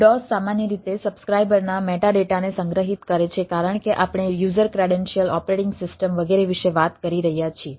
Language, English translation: Gujarati, dos generally store the subscriber metadata as we are talking about the user credential operating system, etcetera